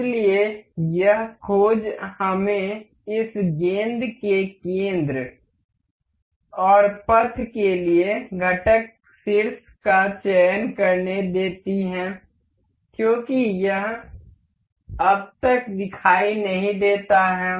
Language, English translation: Hindi, So, this search let us just select the component vertex to the center of this ball and the path as it is not visible as of now